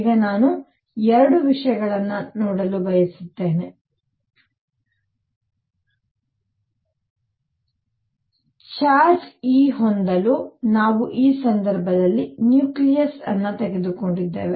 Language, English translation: Kannada, Now I just want to make 2 points; number 1; we took nucleus in this case to have charge e